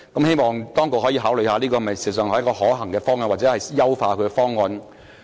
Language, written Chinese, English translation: Cantonese, 希望當局可以考慮這是否一個可行的方向，或優化這方案。, I hope the authorities will consider whether this is a feasible direction or enhance this proposal